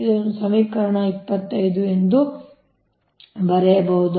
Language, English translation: Kannada, this is from equation twenty five